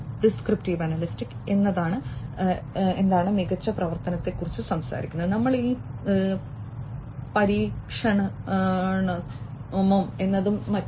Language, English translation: Malayalam, And prescriptive analytics talks about what is the best action, should we try this and so on